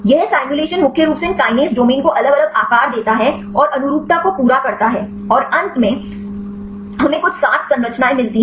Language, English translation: Hindi, This simulation mainly these kinase domain and take the different conformations and cluster the conformations and finally, we get some 7 structures